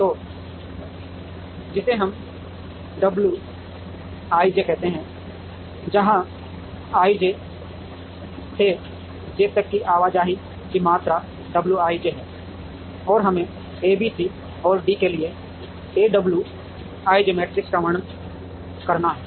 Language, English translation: Hindi, So, which we call as w i j, where w i j is the amount of movement from i to j, and let us describe a w i j matrix between A B C and D